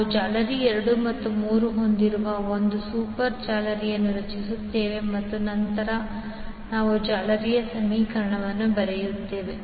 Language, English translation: Kannada, So we will create one super mesh containing mesh 2 and 3 and then we will write the mesh equation